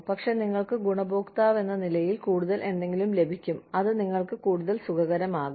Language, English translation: Malayalam, But, you, as the beneficiary, will get something more, something that will make you, more comfortable